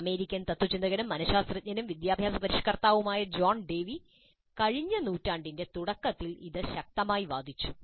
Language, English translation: Malayalam, It was advocated very strongly by the American philosopher, psychologist, and educational reformer John Dewey, way back in the early part of the last century